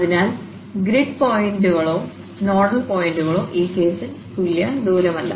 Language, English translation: Malayalam, So, the grid points or the nodal points are not just equidistant in this case